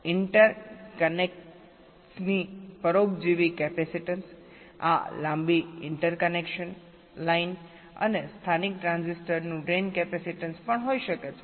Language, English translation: Gujarati, there can be the parasitic capacitance of the interconnects, this long interconnection line, and also the drain capacitance of the local transistors